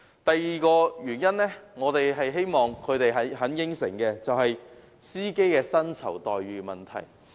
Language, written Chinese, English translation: Cantonese, 第二，我們希望小巴承辦商答應改善司機的薪酬待遇。, Second we hope that light bus operators will undertake to improve the remuneration package of drivers